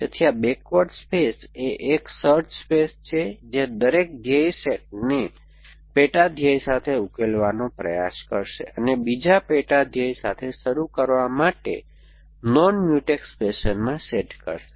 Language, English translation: Gujarati, So, this backward space is a search space which will try to solve every goal set with sub goal set with another sub goal set right up to the start set in a non Mutex fashion